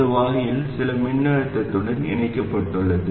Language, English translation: Tamil, This gets connected to the supply, some voltage